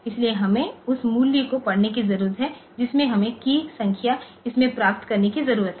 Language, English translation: Hindi, So, we need to read the value we need to get the key number into this